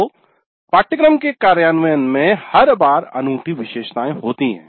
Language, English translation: Hindi, So the implementation of the course every time is unique features